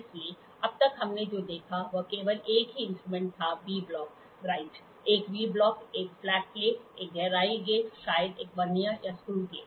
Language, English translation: Hindi, So, till now what we saw was only a single instrument a V block, right; a V block, a flat plate, a depth gauge, maybe a Vernier or screw gauge